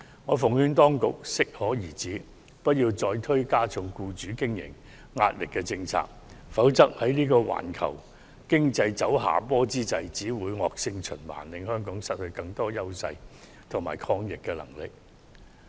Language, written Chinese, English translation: Cantonese, 我奉勸當局要適可而止，不要再推行加重僱主經營壓力的政策，否則在環球經濟走下坡之際，只會造成惡性循環，令香港失去更多優勢和抗逆能力。, My advice to the Government is that it should avoid going too far by introducing more policies that will increase the pressure on employers otherwise a vicious cycle will be created at a time of global economic downturn and Hong Kong will lose more of its advantages and resilience